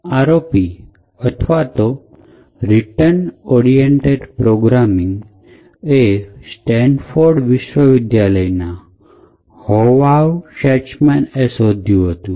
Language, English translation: Gujarati, So, the ROP attack or return oriented programming attack was discovered by Hovav Shacham in Stanford University